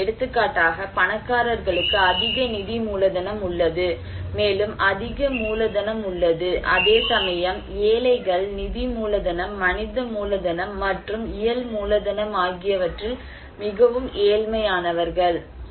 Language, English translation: Tamil, Now, these like for example the rich people they have greater financial capital, also greater human capital whereas the poor they are very poor at financial capital, human capital and physical capital we can say